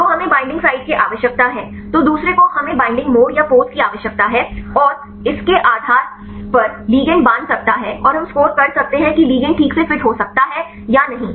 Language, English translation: Hindi, So, we need the binding site then the second one we need the binding mode or the pose and based on this the ligand can bind and we can score whether the ligand can properly fit or not